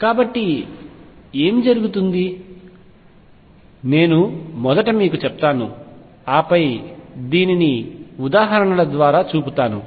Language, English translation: Telugu, So, what happens, I will just tell you first and then show this through examples